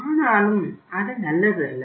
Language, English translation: Tamil, That is also not good